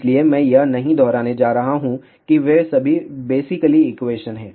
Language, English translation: Hindi, So, I am not going to repeat that they are all basically equation